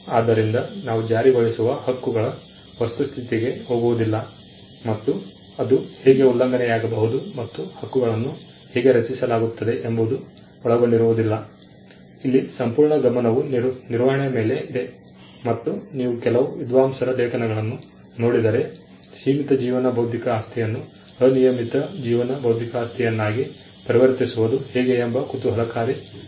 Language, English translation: Kannada, So, we do not get into the nitty gritties of enforcement rights, and how it can get violated, and how the rights are created; here, the entire focus is on managing and if you look at some of the scholarship, there is an interesting analysis of how to convert limited life intellectual property into unlimited life intellectual property